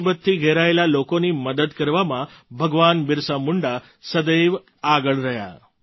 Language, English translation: Gujarati, Bhagwan Birsa Munda was always at the forefront while helping the poor and the distressed